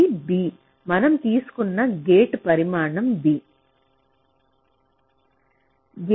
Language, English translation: Telugu, so this is v ah, the gate size b we have taken